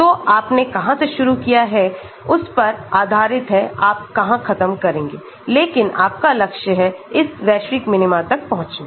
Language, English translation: Hindi, So, depending upon where you start you may end up but, your goal is to reach this global minima